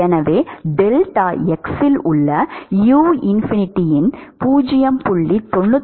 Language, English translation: Tamil, So, u at deltax is equal to 0